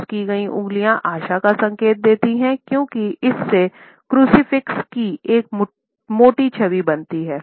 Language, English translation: Hindi, Crossed fingers indicate hope, because somehow they form a rough image of the crucifix